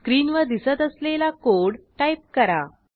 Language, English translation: Marathi, Type the following code as displayed on the screen